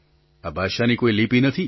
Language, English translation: Gujarati, This language does not have a script